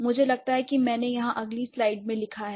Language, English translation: Hindi, So, I think I have written here in the next slide